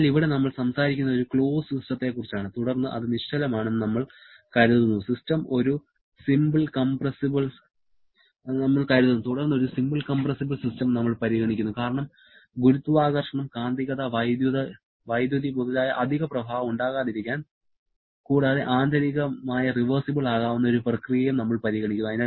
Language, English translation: Malayalam, So, here we are talking about one closed system, then we consider it to be stationary, then we consider a simple compressible system so that there is no additional effect like gravity, magnetism, electricity, etc and also, we consider an internally irreversible sorry internally reversible process